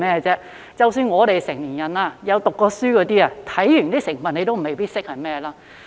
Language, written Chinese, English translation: Cantonese, 即使我們成年人，曾唸過書的，看完成分也未必認識是甚麼。, Even we adults who are educated may not know what they are after reading the ingredient list